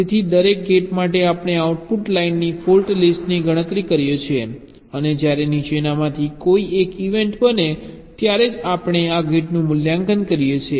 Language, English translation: Gujarati, so for every gate we compute the fault list of the output line and we evaluate this gate only when one of the following this events occur